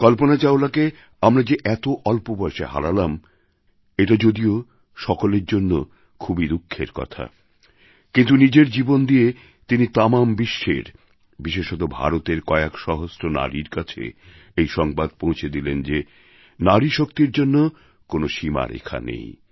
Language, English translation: Bengali, It's a matter of sorrow for all of us that we lost Kalpana Chawla at that early age, but her life, her work is a message to young women across the world, especially to those in India, that there are no upper limits for Nari Shakti …